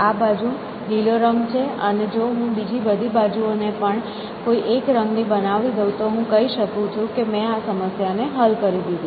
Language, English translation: Gujarati, So, this space is green color and if I can somehow make rest of the spaces of one color then I can say I have solved the problem